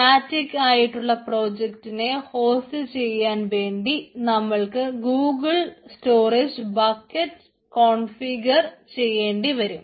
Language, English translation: Malayalam, and in order to host a static web page or website we need to create, we need to configure the google storage bucket